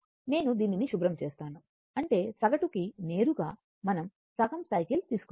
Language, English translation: Telugu, So that means, let me clear it; that means, that means, for average directly, we are taking half cycle